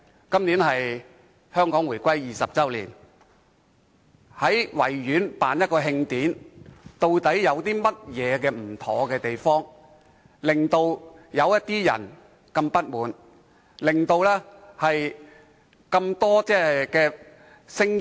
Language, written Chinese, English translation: Cantonese, 今年是香港回歸20周年，慶委會在維園舉辦一場慶典，究竟有何不妥之處，令某些人如此不滿，引起眾多指責的聲音？, As this year marks the 20 Anniversary of Hong Kongs reunification with the Motherland what is actually wrong with the organization of celebration activities at the Victoria Park by HKCA that have caused the complaints of some people and invited extensive criticisms?